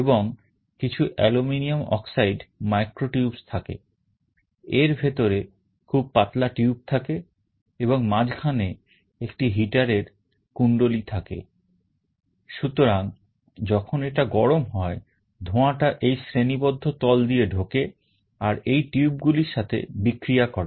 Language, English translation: Bengali, And there are some aluminum oxide micro tubes, very thin tubes inside it, and there is a heater coil in the middle